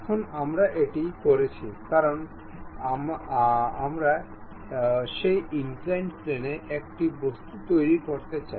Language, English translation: Bengali, Now, what we have done is, because we would like to construct an object on that inclined plane